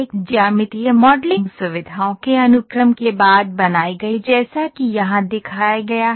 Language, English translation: Hindi, A geometric modeling created following the sequence of features as shown here